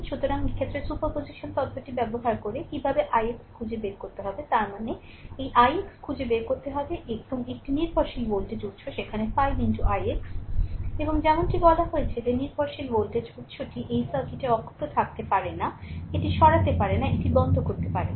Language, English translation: Bengali, So, in this case you have to find out what is the i x using the superposition theorem; that means, this i x you have to find out and one dependent voltage source is there 5 into i x; and as I told you that dependent voltage source you cannot it should be intact in the circuit, you cannot remove it, you cannot turn it off right